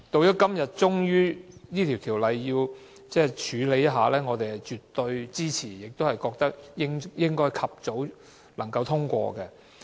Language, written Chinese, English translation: Cantonese, 今天我們終於處理這項《條例草案》，我們絕對支持，亦覺得應該及早通過。, Finally we will handle this Bill today . We definitely support it and also think that it should be passed as soon as possible